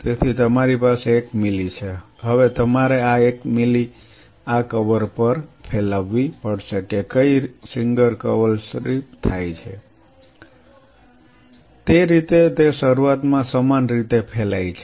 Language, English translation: Gujarati, So, you have one ml now you have to spread this one ml on these cover on what single cover slip in such a way that it uniformly spreads in the beginning